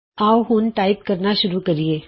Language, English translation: Punjabi, Now, let us start typing